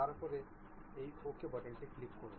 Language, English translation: Bengali, 10 and then click this Ok button